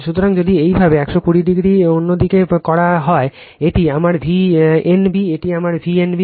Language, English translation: Bengali, So, if you make 180 degree other side, this is my V n b, this is my V n b